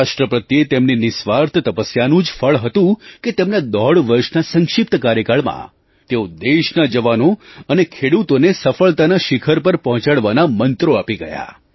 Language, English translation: Gujarati, It was the result of his selfless service to the nation that in a brief tenure of about one and a half years he gave to our jawans and farmers the mantra to reach the pinnacle of success